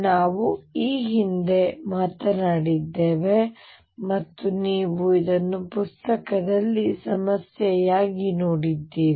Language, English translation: Kannada, This we have talked about earlier and you have also seen this as a problem in the book